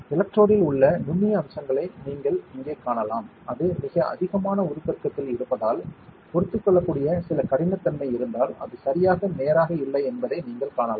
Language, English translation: Tamil, Here you can see the fine features on the electrode that you can see that it is not perfectly straight, if there are some roughness which is toleratable, because it is at very high magnification